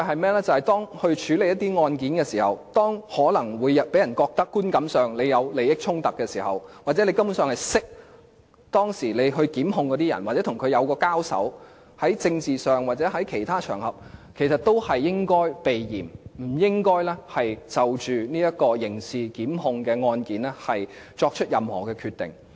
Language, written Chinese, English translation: Cantonese, 便是當律政司處理案件時，如果觀感上讓人覺得有利益衝突，或司長根本認識被檢控的人，或在政治上或其他場合曾經交手，也應該避嫌，不應該就刑事檢控案件作出任何決定。, What it can do is that when it handles cases if the public perceive conflicts of interests or if the Secretary for Justice actually knows the persons who are being prosecuted or if he has fought with them in the political arena or on other occasions he should avoid arousing suspicion by refraining from making any decisions on criminal prosecutions